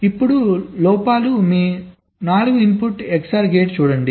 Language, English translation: Telugu, ok, look at your four input xor gate